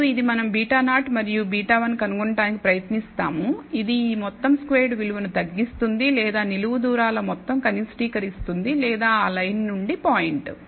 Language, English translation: Telugu, And we try to find beta 0 and beta 1, which minimizes this sum squared value or minimizes the sum of the vertical distances or the point from that line